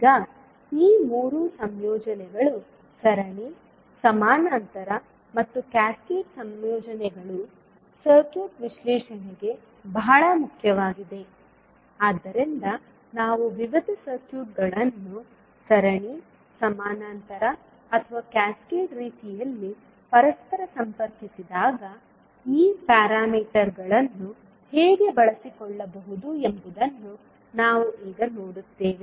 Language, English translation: Kannada, Now these 3 combinations that is series, parallel and cascaded combinations are very important for the circuit analysis, so we will see now how we can utilise these parameters when we interconnect the various networks either in series, parallel or cascaded manner